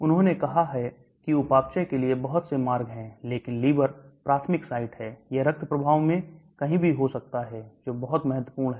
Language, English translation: Hindi, They said there are several routes for metabolism, but liver is the primary site but it can happen anywhere in the bloodstream that is very important